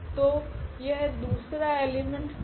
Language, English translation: Hindi, So, that will be the second element